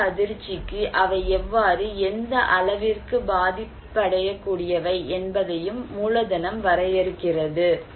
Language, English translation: Tamil, And also capital define that how and what extent they are vulnerable to particular shock